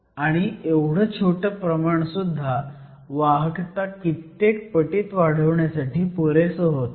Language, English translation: Marathi, And, even the small amount was enough to increase conductivity by orders of magnitude